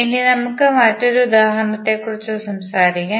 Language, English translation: Malayalam, Now, let us talk about another example